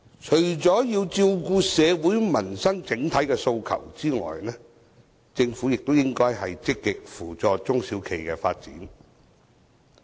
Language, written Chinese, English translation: Cantonese, 除要照顧社會民生整體訴求外，政府亦應積極扶助中小企的發展。, Apart from addressing the general social and livelihood demands the Government should also actively foster the development of small and medium enterprises SMEs